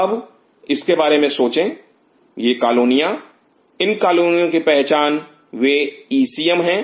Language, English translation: Hindi, Now, think of it these colonies identification of this colonies are they are ECM